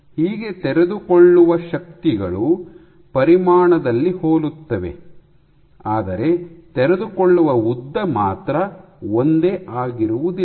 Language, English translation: Kannada, So, your unfolding forces are similar in magnitude, but the unfolding lengths are not